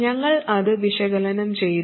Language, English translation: Malayalam, We have analyzed it